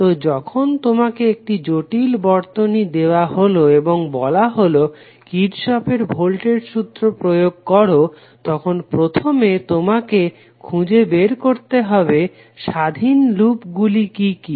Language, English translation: Bengali, So when you have given a complex circuit and you are asked to execute the Kirchhoff’s voltage law, then you have to first find out what are the various independent loop